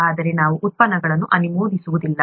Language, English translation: Kannada, But we do not endorse the products